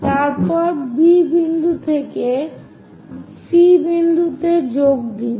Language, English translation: Bengali, Then join B point all the way to C point